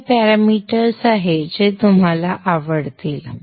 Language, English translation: Marathi, So these are the parameters that you would like to